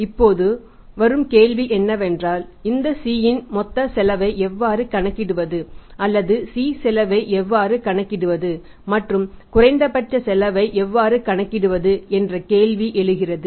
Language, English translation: Tamil, Now the question arises that how to calculate the total cost of this C or how to calculate the cost of C and to find out that this cost is minimum